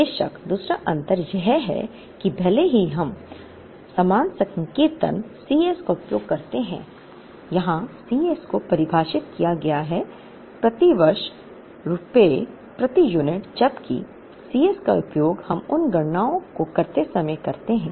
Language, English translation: Hindi, Second difference of course, is in even though we use the same notation C s, here C s is defined as rupees per unit per year whereas, the C s that we used when we did those calculation was rupees per unit backordered